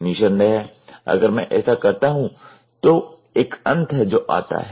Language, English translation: Hindi, In fact, if I do this then there is a end which comes